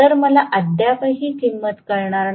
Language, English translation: Marathi, So, I am yet to get this value